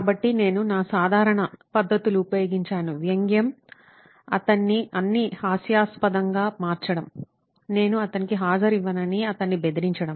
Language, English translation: Telugu, So I used my usual methods, sarcasm, making him a butt of all jokes, threatening him, not that I won't give him attendance, all that